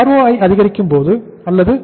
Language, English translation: Tamil, Increase or decrease in ROI